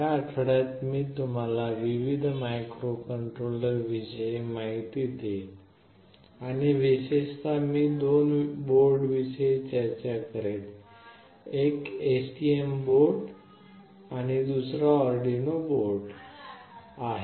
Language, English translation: Marathi, In this week I will take you to a tour of various Microcontroller Boards and specifically I will be discussing about two boards; one is STM board and another is Arduino board